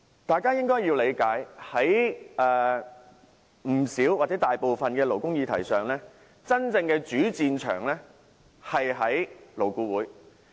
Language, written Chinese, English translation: Cantonese, 大家應該理解，大部分勞工議題的真正主戰場其實在勞顧會。, Members should understand that the main battlefield of most labour issues is actually LAB